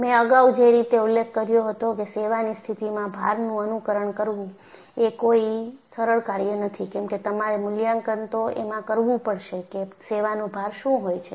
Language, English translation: Gujarati, AndI had also mentioned earlier, simulatingactual service condition loads is not a simple task because you will have to assess what are the service loads